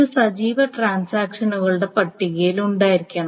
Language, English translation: Malayalam, So this is, it must be in the active, in the list of active transactions